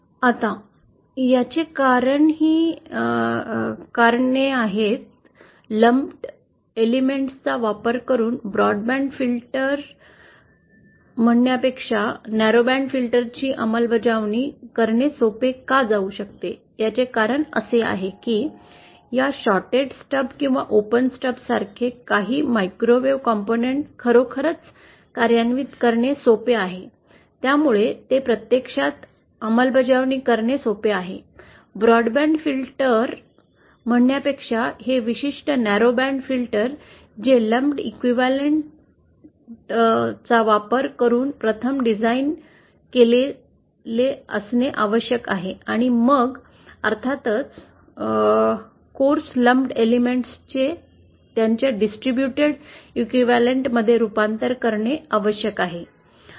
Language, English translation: Marathi, Now, coming this also gives a reason why address it, narrowband filters might actually be easier to implement than say broadband filters using lumped elements, the reason is that as we saw that certain microwave components like this shorted stub or open stub are actually easier to implement and hence and because these have a bandpass or bad stock characteristics, so they are actually easier to implement, these particular narrowband filters than say a broadband filter which has to be 1st designed using the lumped element equivalent and then of course lumped elements have to be converted into their distributed equivalent